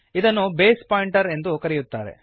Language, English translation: Kannada, This is called as Base pointer